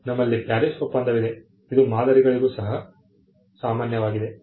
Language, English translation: Kannada, We have the PARIS convention which is common for patterns as well